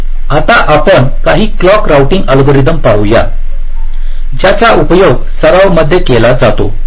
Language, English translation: Marathi, ok, so now let us look at some of the clock routing algorithms which are used in practice